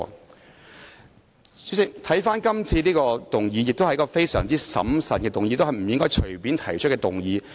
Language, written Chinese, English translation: Cantonese, 代理主席，今次這項議案亦是一項須經審慎考慮且不應隨便提出的議案。, Deputy President the motion this time around also warrants prudent consideration and should not be proposed casually